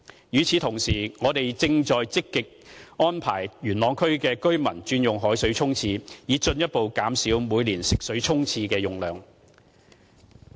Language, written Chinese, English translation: Cantonese, 與此同時，我們正積極安排元朗區的居民轉用海水沖廁，以進一步減少每年沖廁的食水用量。, At the same time we are actively arranging our customers in Yuen Long to change to using seawater for toilet flushing in order to further reduce the quantity of fresh water used for toilet flushing each year